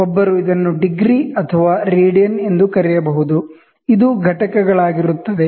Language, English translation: Kannada, One may call it degree or radians, this will be the units